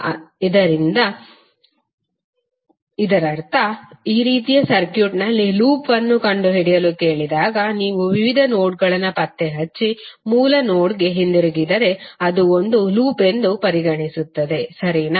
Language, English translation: Kannada, So that means if you see the circuit like this when you are ask to find out the loop, it means that if you trace out various nodes and come back to the original node then this will consider to be one loop, right